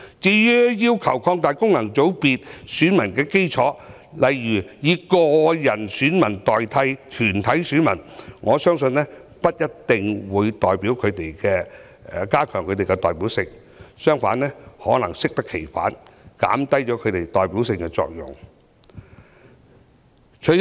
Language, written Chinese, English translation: Cantonese, 至於有人要求擴大功能界別選民的基礎，例如以個人選民代表團體選民，我相信不一定可加強有關界别的代表性，甚至可能會適得其反，減低其代表性。, As regards the request for expansion of the electorate of FCs by for example replacing corporate electors with individual electors I do not believe this will definitely enhance the representativeness of the relevant FC; the representativeness may even be reduced on the contrary